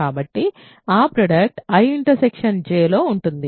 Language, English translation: Telugu, So, this is in I this is in J